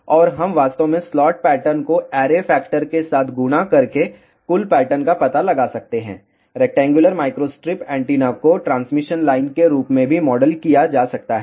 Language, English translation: Hindi, And, we can actually find out the total pattern by multiplying the slot pattern with the array factor, rectangular microstrip antenna can also be modeled as a transmission line